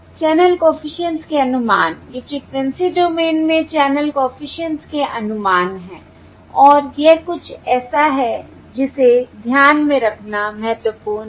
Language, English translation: Hindi, these are the estimates of the channel coefficients in the frequency domain, and that is something that is important to keep in mind